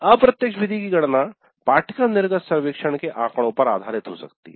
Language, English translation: Hindi, So, the computing the indirect method can be based on the course exit survey data